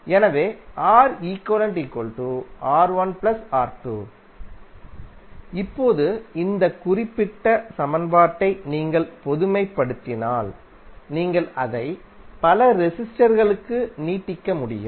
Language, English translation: Tamil, Now, if you generalize this particular equation, you can extend it for multiple resistors